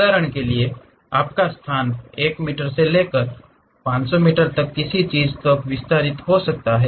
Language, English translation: Hindi, For example, your space might be from 1 meter to extend it to something like 500 meters